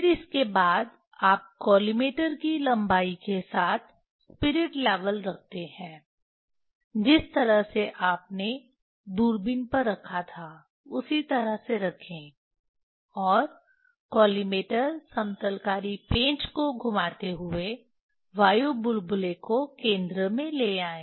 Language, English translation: Hindi, Then next you place the spirit level on the collimator along its length like telescope the way you put on telescope, the same way you put, and bring the air bubble at the centre turning the collimator leveling screw